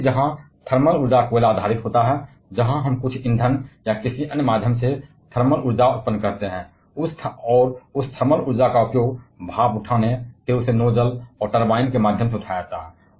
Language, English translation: Hindi, The other where thermal energy involved like coal, where we generate thermal energy by burning some fuel or by some other means, and that thermal energy is used to raise steam and then raised through the nozzle and the turbine